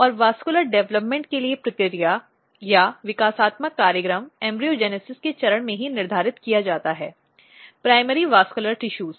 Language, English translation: Hindi, And the process or the developmental program for vascular development is set at the stage of embryogenesis itself the primary vascular tissues